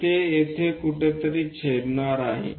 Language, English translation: Marathi, So, it is going to intersect somewhere there